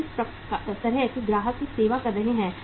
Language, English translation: Hindi, What kind of the customer we are serving